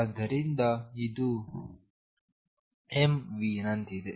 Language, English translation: Kannada, So, this is like m v